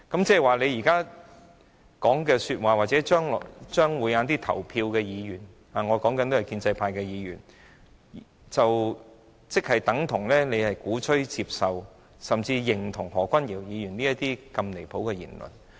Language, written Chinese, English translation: Cantonese, 不過，如果建制派議員投票支持陳克勤議員的議案，便等同鼓吹、接受甚至認同何君堯議員如此離譜的言論。, However if pro - establishment Members choose to support Mr CHAN Hak - kans motion their support is no difference from advocating accepting or even agreeing with Dr Junius HOs outrageous remark